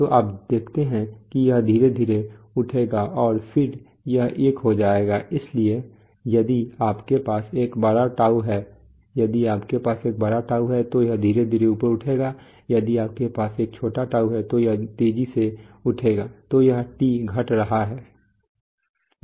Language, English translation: Hindi, So you see that it will gradually rise and then it will become one, so if you have a, if you have a large τ if you have a large τ it will rise slowly if you have a small τ it will rise fast, so this is τ decreasing right